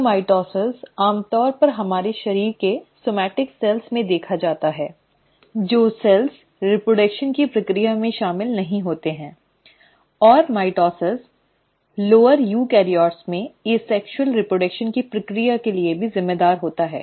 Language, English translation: Hindi, So mitosis is usually seen in somatic cells of our body, the cells which are actually not involved in the process of reproduction, and mitosis in lower eukaryotes is also responsible for the process of asexual reproduction